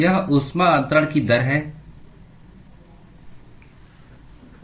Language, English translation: Hindi, It is rate of heat transfer